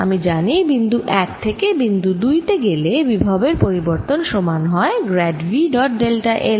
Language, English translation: Bengali, then i know from going from point one to point two, the change in the potential is equal to grad of v dot delta l